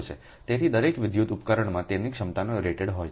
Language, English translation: Gujarati, so each electrical device has its rated capacity